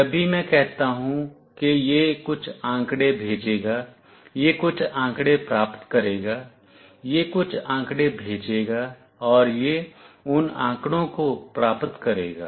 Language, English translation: Hindi, Whenever I say this will send some data, it will receive some data; this will send some data, and it will receive that data